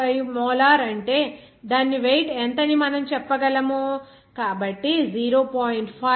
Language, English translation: Telugu, 5 molar means how much weight of that, so 0